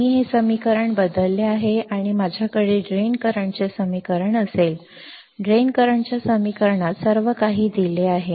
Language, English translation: Marathi, I substitute this equation and I will have a equation for drain current; in the equation of the drain current everything is given